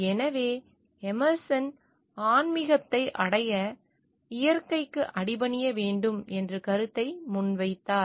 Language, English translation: Tamil, So, Emerson advocated the idea of yielding oneself to nature for attaining spirituality